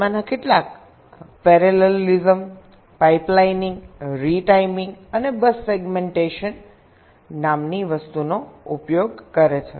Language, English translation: Gujarati, some of them use parallelism, pipe lining, retiming and something called bus segmentation